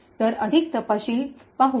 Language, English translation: Marathi, So, let us look at more details